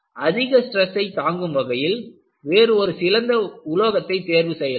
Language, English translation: Tamil, You can choose a better material to withstand higher stresses